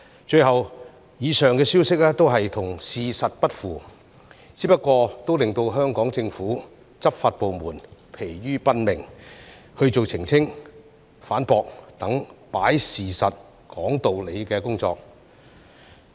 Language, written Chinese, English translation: Cantonese, 最後，以上消息都與事實不符，不過仍然令香港政府、執法部門疲於奔命去做澄清、反駁等"擺事實，講道理"的工作。, All these turned out to be untrue but still the Hong Kong Government and law enforcement departments were overwhelmed by the need to do such work as clarification and refutation to present the facts and expound reasons